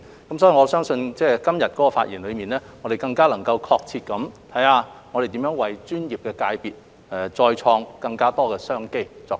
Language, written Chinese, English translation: Cantonese, 因此，我相信今日的發言能更確切地探討如何為專業界別再開創更多商機。, For that reason I believe that todays debate will facilitate a more precise exploration into how to create more business opportunities for the professional sectors